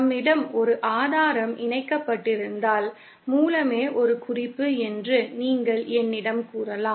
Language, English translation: Tamil, If we have a source connected, then you might tell me that source itself is a reference